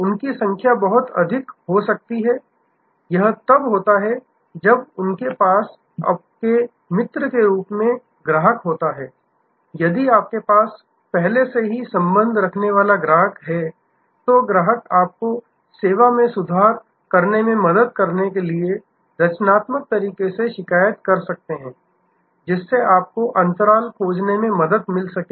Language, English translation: Hindi, They may also very, this is when they have the customer as your friend, if the customer you have already have a relationship, the customer may complain in a constructive manner to help you to improve the service, to help you to find the gaps